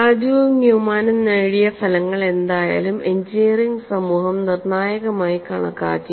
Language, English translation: Malayalam, And whatever the results that were obtained by Raju and Newman were considered by the engineering community to be definitive